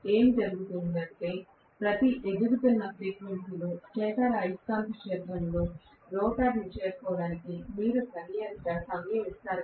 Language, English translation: Telugu, So, what will happen is at every incremental frequency, you give sufficient time for the rotor to catch up with the stator revolving magnetic field